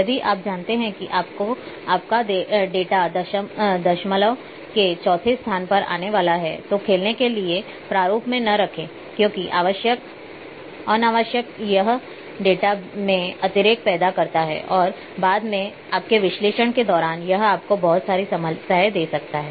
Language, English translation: Hindi, If you know that your data is not going to come up to fourth places of decimal then don’t put in the format for play because unnecessary it creates the redundancy in the data and later on during your analysis it might give you lot of problems